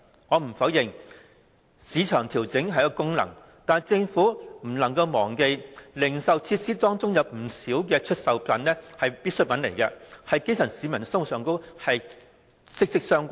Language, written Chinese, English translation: Cantonese, 我不否認市場調整的功能，但政府不能忘記，在零售設施方面，有不少必需品與基層市民的生活息息相關。, I do not deny the market adjustment function but the Government should bear in mind that in respect of retail facilities many necessities are closely related to the lives of the grass roots